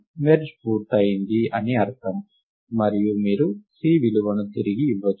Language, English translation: Telugu, merge has been completed you return the value of C